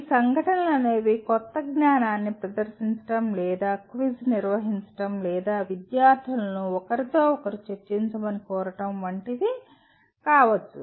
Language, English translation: Telugu, The events could be like demonstrating some new knowledge or conducting a quiz or asking the students to discuss with each other